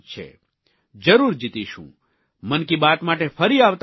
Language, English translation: Gujarati, We will meet in Man ki baat again next month